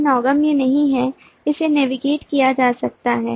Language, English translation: Hindi, this is not navigable, this can be navigated